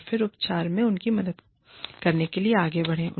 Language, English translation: Hindi, And then, move on to, helping them, with the treatment